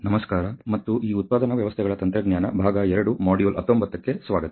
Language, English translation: Kannada, Hello and welcome to this manufacturing systems technology part 2 module 19